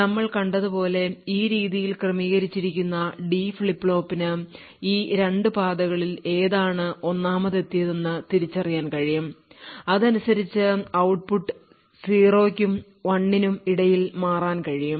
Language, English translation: Malayalam, Now as we have seen the the D flip flop which is configured in the way that we have discussed would be able to identify which of these 2 paths has arrived 1st and correspondingly we will be able to switch between 0 and 1